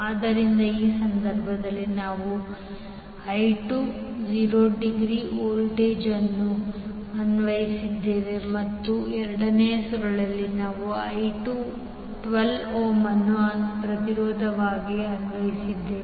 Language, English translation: Kannada, So in this case we have applied voltage that is 12 volt angle 0 and in the second coil we have applied 12 ohm as a resistance